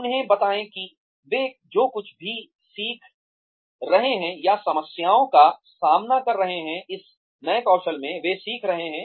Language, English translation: Hindi, Tell them that, whatever they are learning, or, the problems, they could face, in this new skill that, they are learning